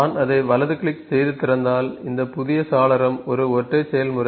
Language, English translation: Tamil, So, if I right click it and open it, this is the single process